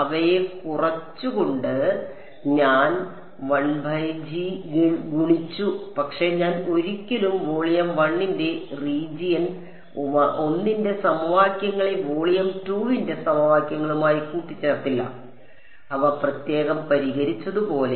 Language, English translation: Malayalam, I multiplied 1 by g the other by phi subtracted them, but I never mixed the equations for region 1 of volume 1 with the equations for volume 2, as sort of solved them separately